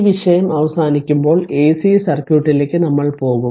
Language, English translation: Malayalam, So, when this topic is over we will go for ac circuit